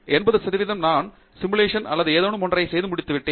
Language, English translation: Tamil, 80 percent of the time I am doing either coding up a simulation or doing something